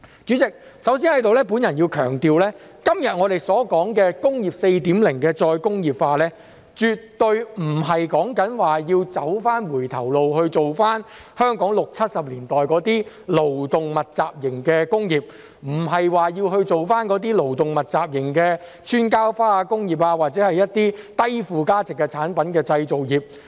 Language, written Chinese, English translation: Cantonese, 主席，首先，我要強調，今天我們所說"工業 4.0" 的再工業化，絕對不是指要走回頭路，返回香港六七十年代勞動密集型的工業，並非指要做回那些勞動密集型的"穿膠花"工業或一些低附加值產品的製造業。, President first of all I have to stress that when we talk about the re - industrialization of Industry 4.0 today we definitely do not mean going back to the labour - intensive industries of the 1960s and 1970s in Hong Kong nor do we mean going back to those labour - intensive plastic - flower making industries or the manufacturing of some low value - added products